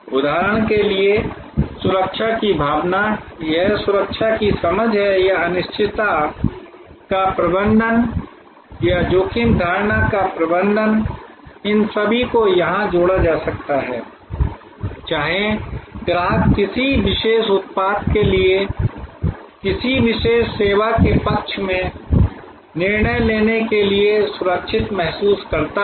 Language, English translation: Hindi, For example, sense of security, this is sense of security or managing uncertainty or managing the risk perception, all of these can be clubbed here, whether the customer feels secure to decide in favour of a particular service for that matter for a particular product